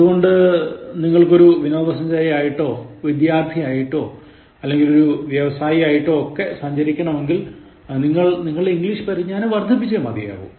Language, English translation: Malayalam, So, whether you would like to go as a tourist or as a student or as just a business person, you need to develop your English Skills